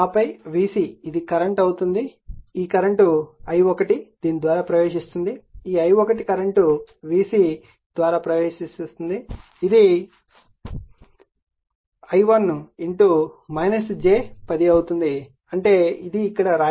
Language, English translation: Telugu, It will take some time to do it right and then V c will be this is the current, this current i 1 is i 1 is flowing through this is the current i 1 is flowing through this V c will be this your i 1 into minus j 10 right, that is what is written here this is i 1 into minus j 10